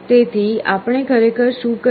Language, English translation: Gujarati, So, what we are actually doing